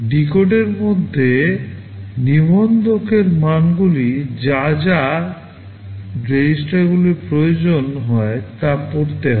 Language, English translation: Bengali, Within the decode, the register values are also read whatever registers are required